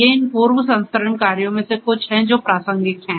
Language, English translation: Hindi, So, these are some of these pre processing tasks that are relevant